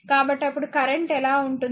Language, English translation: Telugu, So, then what then what will be the current then